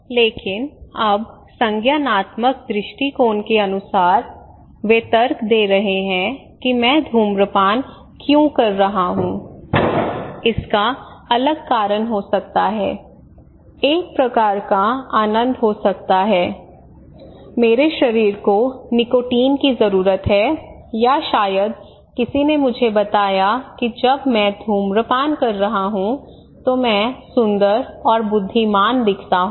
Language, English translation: Hindi, But now the cognitive heuristic approaches they are arguing that okay why I am smoking could be different reason maybe its a kind of my pleasure, my body needs nicotine or maybe somebody told me that I look macho, handsome, smart and intelligent when I am smoking I look more fashionable when I am smoking people look at me when I smoke, or many other reasons could be there